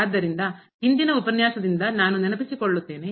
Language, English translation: Kannada, So, let me just recall from the previous lecture